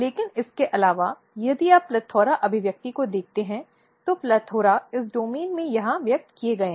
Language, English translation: Hindi, But apart from that if you look the PLETHORA expression, PLETHORA’S are expressed here in this domain